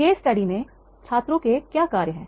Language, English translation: Hindi, What are the functions of students in the case study